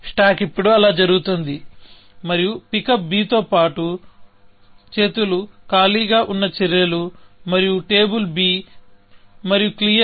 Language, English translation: Telugu, So, the stack is now going like that, and along with pick up b, the actions, which are arm empty, and on table b, and clear b